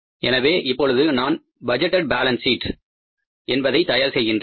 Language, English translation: Tamil, So now I am preparing the budgeted balance sheet